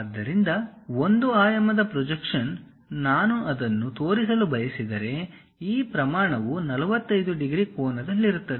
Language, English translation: Kannada, So, one dimensional projection if I want to really show it, this scale is at 45 degrees angle